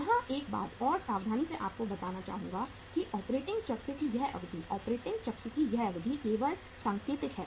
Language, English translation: Hindi, Here one point of caution I would like to give you that this duration of the operating cycle, this duration of the operating cycle is only indicative